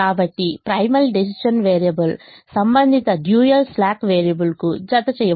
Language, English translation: Telugu, so primal decision variable is mapped to the corresponding dual slack variable